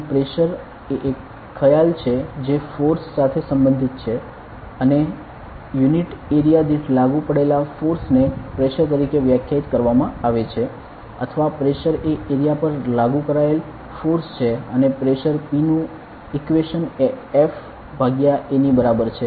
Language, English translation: Gujarati, And the pressure is a concept that is related with force and it is the pressure is defined as the force applied per unit area or the pressure is the force applied over an area and the equation of pressure P is equal to F by A